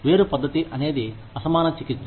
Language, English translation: Telugu, Disparate treatment is unequal treatment